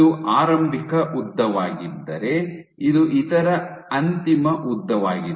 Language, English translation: Kannada, So, if this was the initial length, this is some other final length